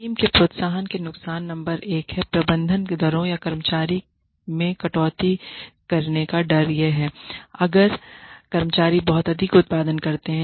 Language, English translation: Hindi, The disadvantages of team incentives are number one: the fear there is a fear that management will cut rates or employees, if employees produce too much